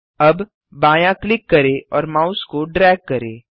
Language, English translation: Hindi, Now left click and drag your mouse